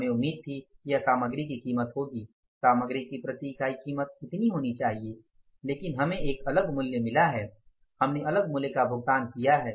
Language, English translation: Hindi, We expected this much should be the material price, per unit of the price of material should be this much but we have got the different price